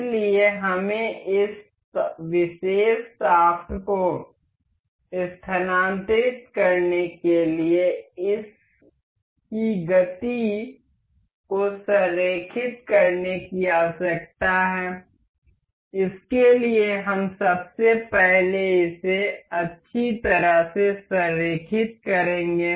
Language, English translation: Hindi, So, what we require is to align the motion of this to transfer these to this particular shaft, for that we will first of all align this nicely